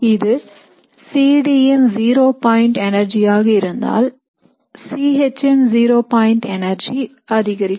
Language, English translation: Tamil, So if this is the zero point energy for C D, the zero point energy for C H would be higher